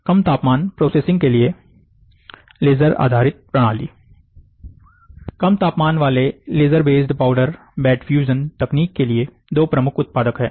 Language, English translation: Hindi, Laser based system for low temperature processing, there are 2 major producers for low temperature laser bed powder bed fusion technique